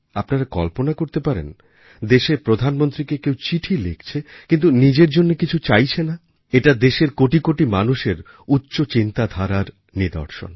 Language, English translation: Bengali, Just imagine… a person writing to the Prime Minister of the country, but seeking nothing for one's own self… it is a reflection on the lofty collective demeanour of crores of people in the country